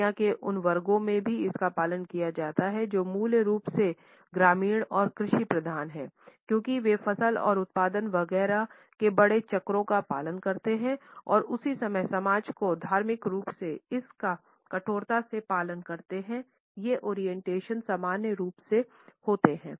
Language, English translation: Hindi, It is also followed in those sections of the society the world over which are basically rural and agrarian because they follow the larger cycles of the crop and production etcetera and at the same time those societies which rigorously follow the religious calendars this orientation is normally found